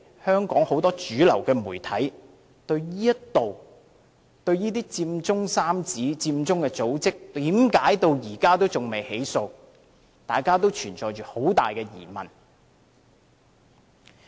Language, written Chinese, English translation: Cantonese, 香港很多主流媒體對這些佔中三子、佔中組織至今仍未被起訴，均存有很大疑問。, Many mainstream media in Hong Kong remain doubtful about the absence of prosecution of the Occupy Central Trio and other Occupy Central groups